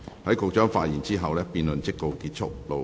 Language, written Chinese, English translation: Cantonese, 在局長發言後，辯論即告結束。, This debate will come to a close after the Secretary has spoken